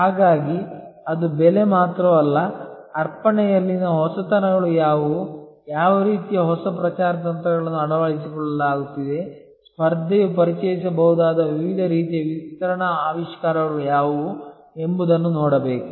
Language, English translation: Kannada, And so it is not only the price, but one has to look at what are the innovations in the offering, what kind of new promotion strategies are being adopted, what are the different kinds of distribution innovations that the competition might be introducing